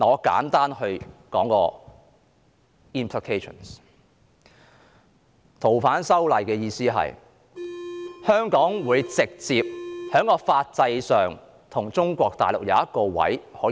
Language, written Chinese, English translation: Cantonese, 修訂《逃犯條例》的含意是，在法制上直接給予香港一個被中國大陸介入的位置。, The amendment of the Fugitive Offenders Ordinance is meant to directly place Hong Kong in a position in the legal system where there can be intervention from Mainland China